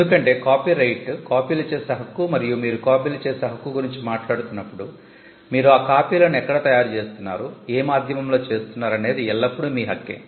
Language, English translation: Telugu, Because copyright is the right to make copies and when you are talking about the right to make copies where are you making those copies there is always a medium right